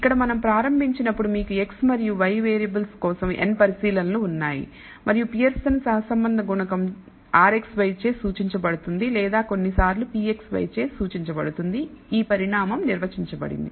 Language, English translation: Telugu, Here as we started with you have n observations for the variables x and y and we de ne the Pearson’s correlation coefficient denoted by r xy or sometimes denoted by rho xy by this quantity defined